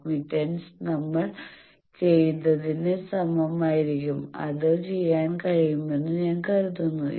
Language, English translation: Malayalam, So, assignment will be similar to what we have done, I think will be able to do it